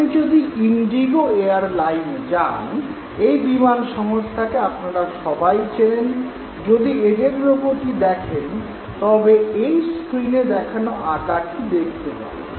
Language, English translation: Bengali, If you visit Indigo Airline, this is one of the airlines that you must have certainly seen here, when you look at their logo, actually you see what you saw here